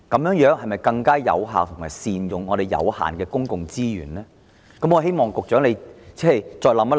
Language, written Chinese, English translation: Cantonese, 能否更有效地善用我們有限的公共資源呢？, Can our limited public resources be put to more effective use?